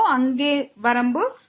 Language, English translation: Tamil, So, this limit is 4